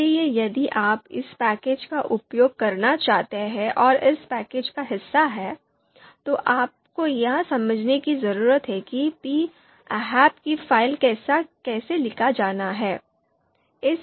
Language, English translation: Hindi, So if you want to use this package and the function that are part of this package, you need to understand how this format is to be written, ahp file format is to be written